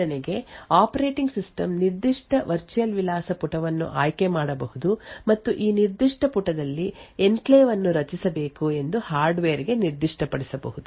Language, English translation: Kannada, For example, the operating system could choose a particular virtual address page and specify to the hardware that the enclave should be created in this particular page